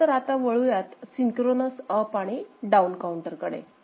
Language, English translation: Marathi, Now, we can move to a synchronous up and down counter, right